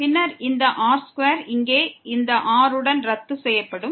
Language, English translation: Tamil, And then this square will be cancelled with this here